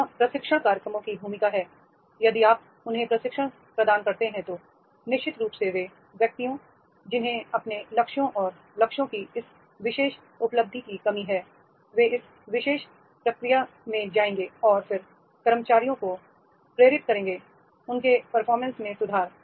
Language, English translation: Hindi, Here is the role of the training programs that is the if you provide them the training then definitely the persons, those who are lacking in this particular achievement of their targets and goals, they will be going to this particular process and then motivate employees to improve their performance as a result of which their performance will be applied